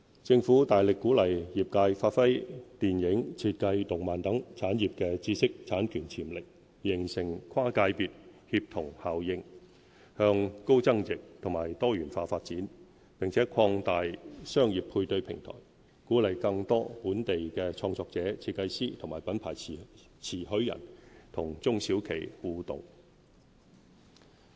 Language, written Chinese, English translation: Cantonese, 政府大力鼓勵業界發揮電影、設計、動漫等產業的知識產權潛力，形成跨界別協同效應，向高增值及多元化發展，並擴大商業配對平台，鼓勵更多本地創作者、設計師及品牌特許人與中小企互動。, The Government strongly encourages creative industries such as film and design as well as animation and comics to unleash their IPR potentials and attain cross - sector synergy paving the way to move up the value chain and pursue diversified development . The Government will expand the business matching platform to encourage more interaction among local creators designers and brand licensors as well as small and medium enterprises SMEs